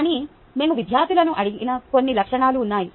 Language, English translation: Telugu, but there are some attributes that we asked the students for